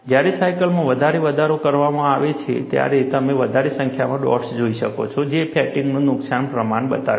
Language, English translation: Gujarati, When the cycle is further increased, you see a large number of dots, indicating the extent of fatigue damage